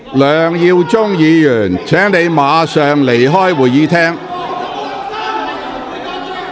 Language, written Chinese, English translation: Cantonese, 梁耀忠議員，請你立即離開會議廳。, Mr LEUNG Yiu - chung please leave the Chamber immediately